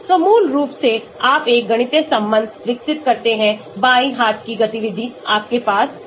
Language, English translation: Hindi, so basically you develop a mathematical relation, left hand side you have the activity